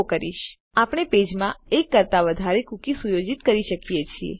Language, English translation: Gujarati, So you see we can set more than one cookie in a page